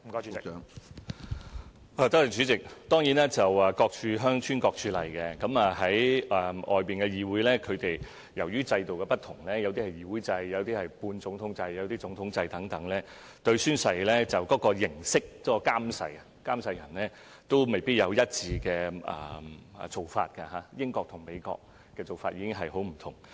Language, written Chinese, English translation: Cantonese, 主席，各處鄉村各處例，就海外議會而言，由於各地制度不同，例如議會制、半總統制、總統制等，對宣誓的形式、監誓人未必有一致做法，例如英國和美國的做法已很不同。, President different places adopt different practices . As regards overseas legislatures due to different local systems such as parliamentary system semi - presidential system presidential system and so on their practices concerning the form of oath taking and the administrator of oaths may not be the same . For example the United Kingdom and the United States are already very different in terms of their practices in this respect